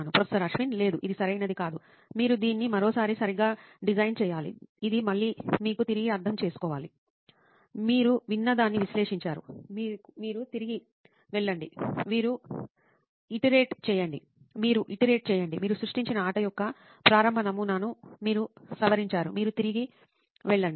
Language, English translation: Telugu, No, not yet right, you design it one more time right, this is again you have re empathise, you analyse what you have heard, you go back, you iterate, you modify that initial prototype of the game you created, you go back